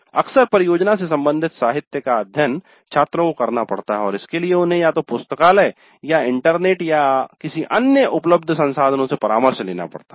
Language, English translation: Hindi, Quite often the literature related to the project has to be studied by the students and for that sake they have to either consult the library or internet or any other resources available